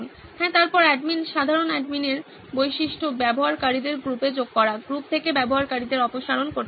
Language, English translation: Bengali, Yes, then admin general admin features of adding users to the group, removing users from the group